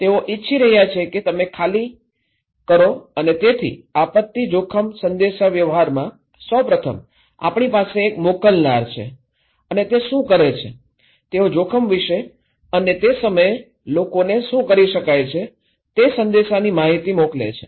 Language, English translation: Gujarati, They want you to evacuate and so there is first in the disaster risk communications, we need one sender okay and what they do, they send message informations okay about the risk and what can be done to people